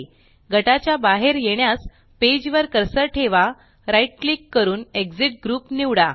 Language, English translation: Marathi, To exit the group, place the cursor on the page, right click and select Exit group